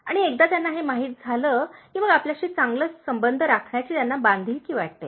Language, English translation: Marathi, And once they know this, so, then they feel very obliged to maintain good relationship with you